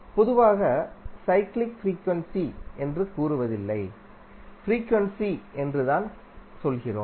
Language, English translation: Tamil, In general terms we do not say like a cyclic frequency, we simply say as a frequency